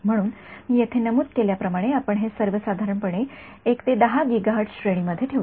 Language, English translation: Marathi, So, as I have mentioned over here, we keep it roughly in the 1 to 10 gigahertz range ok What about terahertz